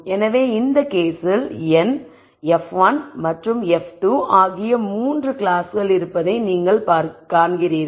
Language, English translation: Tamil, So, in this case you see that there are 3 classes n, f 1 and f 2